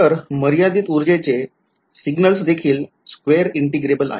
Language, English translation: Marathi, So, finite energy signals also they are square integrable